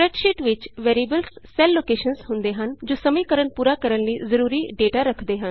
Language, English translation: Punjabi, In a spreadsheet, the variables are cell locations that hold the data needed for the equation to be completed